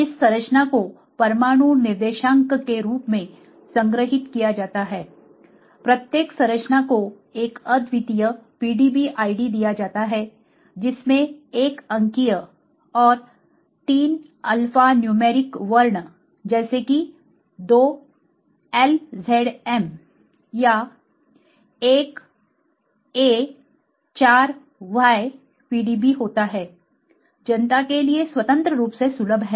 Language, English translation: Hindi, This structure are stored in terms of atom coordinates, each structures given a unique PDB id, consisting of a numeral and 3 alpha numeric characters such as 2 LZM or 1 a 4 y PDB is freely accessible to the public